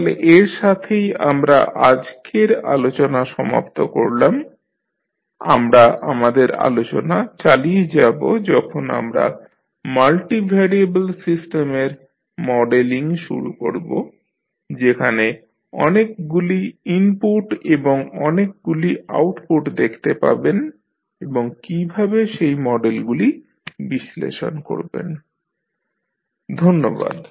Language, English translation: Bengali, So with this we can close our today’s discussion, we will continue our discussion while we start modelling the multi variable system where you will see multiple input and multiple output and how you will analyze those set of model, thank you